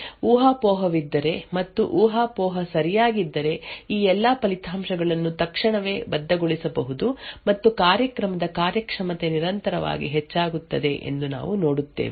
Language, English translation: Kannada, So does we see that if there is a speculation and the speculation is correct then of all of these results can be immediately committed and the performance of the program would increase constantly